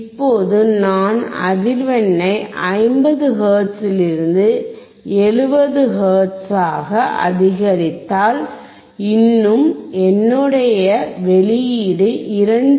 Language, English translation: Tamil, Now if I increase the frequency from 50 hertz to about 70 hertz, still my output is 2